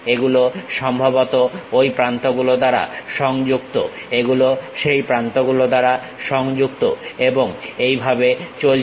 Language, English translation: Bengali, These supposed to be connected by those edges, these connected by that edges and further